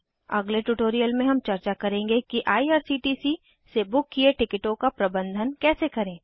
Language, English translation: Hindi, In the next tutorial we will discuss how to manage the tickets booked through IRCTC